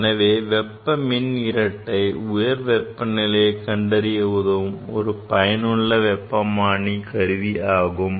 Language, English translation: Tamil, So, basically these thermocouple is a very useful thermometer for measuring higher temperature